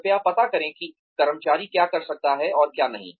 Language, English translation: Hindi, Please find out, what the employee can and cannot do